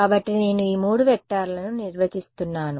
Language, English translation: Telugu, So, I am defining these 3 vectors